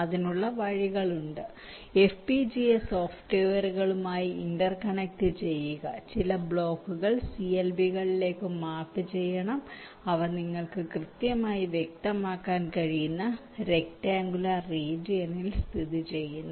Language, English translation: Malayalam, there are ways to inter connect with fpga software to force that certain blocks must be mapped to the clbs which are located in a close neighbourhood, within a rectangular region, those you can specify